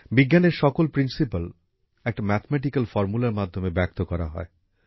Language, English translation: Bengali, Every principle of science is expressed through a mathematical formula